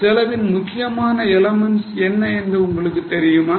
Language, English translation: Tamil, Do you know what are the important elements of cost